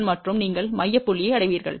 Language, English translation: Tamil, 1 and you will reach the central point